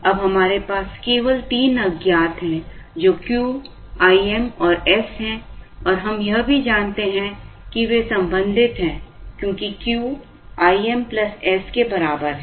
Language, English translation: Hindi, Now, we have only three unknowns, which are Q, I m and s and we also know that they are related, because Q is equal to ii m plus s